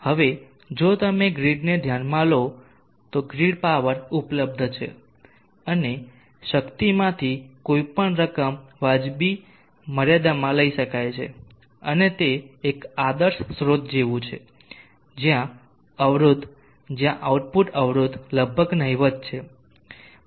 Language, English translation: Gujarati, Now if you consider grid, the grid power is available and any amount of power can be drawn from it within reasonable limits and it is something like an ideal source where the impedance where the output impedance is almost negligible